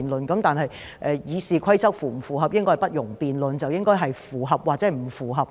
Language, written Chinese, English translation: Cantonese, 然而，是否符合《議事規則》，應該不容辯論，答案應該只有符合或不符合。, Nevertheless the compliance with RoP is not subject to debate and the answer should only be either compliance or non - compliance